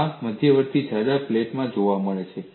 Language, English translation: Gujarati, What happens in intermediate plates